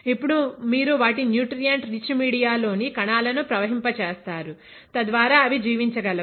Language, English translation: Telugu, Now you will be flowing the cells in their nutrient rich media, so that they can survive